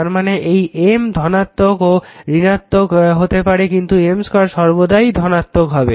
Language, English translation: Bengali, Now look and that whether M is negative or positive, M square will be always positive right